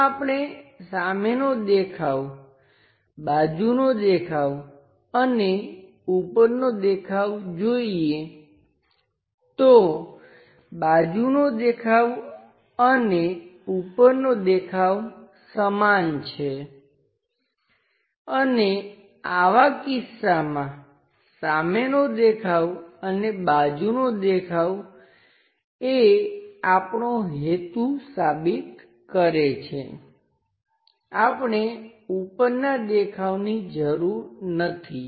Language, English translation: Gujarati, If we are looking at front view side view and top view, the side view and the top view are repeating and in such kind of instances keeping front view and side view makes the purpose we do not really require